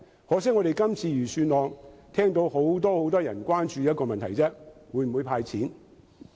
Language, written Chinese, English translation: Cantonese, 可惜，就這份預算案而言，我們聽到很多人只關注一個問題，就是會否"派錢"。, Regrettably regarding this Budget we heard that many people are concerned about only one question ie . whether cash will be handed out